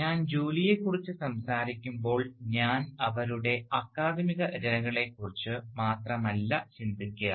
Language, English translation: Malayalam, When I am talking about work, I am not only thinking about her academic writings, they are important